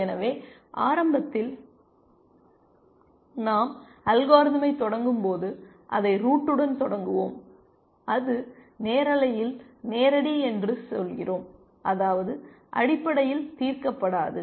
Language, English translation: Tamil, So, initially when we start the algorithm, we start it with the root and we say it is live by live we mean which is not solved essentially